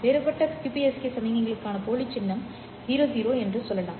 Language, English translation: Tamil, Let's say the dummy symbol for the differential QPSK signal is 0